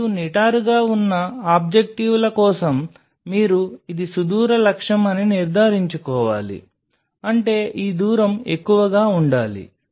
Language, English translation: Telugu, And for such in upright objective you have to ensure it is a long distance objective what does that mean; that means, this distance should be higher